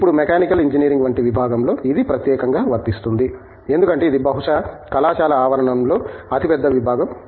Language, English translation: Telugu, Now, this is particularly true of a Department like Mechanical Engineering because, it is a probably the biggest department on campus